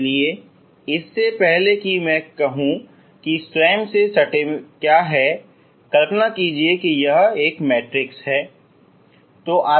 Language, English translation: Hindi, So before I say what iss the self adjoint you imagine it is like a L is a like a matrix